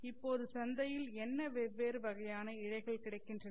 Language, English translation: Tamil, Now, what different type of fibers are available in the market today